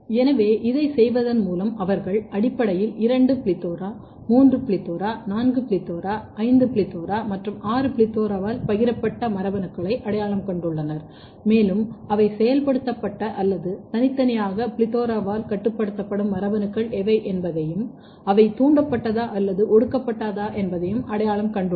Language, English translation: Tamil, So, by doing this they have basically identified the genes which are shared by two PLETHORA three PLETHORA four PLETHORA five PLETHORA and all six PLETHORA and they have also identified what are the genes which are specifically or uniquely regulated by either of the PLETHORA either activated or repressed